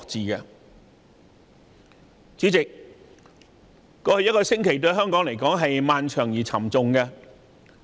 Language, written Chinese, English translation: Cantonese, 對香港來說，過去一星期既漫長又沉重。, Last week was long and disheartening to Hong Kong people